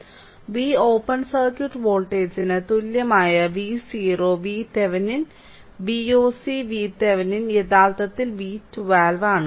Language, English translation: Malayalam, So, V o V Thevenin V oc that V open circuit voltage is equal to V Thevenin actually is equal to V 1 2 right